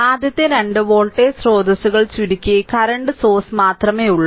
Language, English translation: Malayalam, So, first you 2 voltage sources are shorted only current source is there